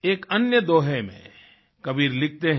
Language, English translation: Hindi, In another doha, Kabir has written